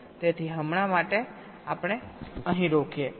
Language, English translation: Gujarati, so for now, let us stop here, thank you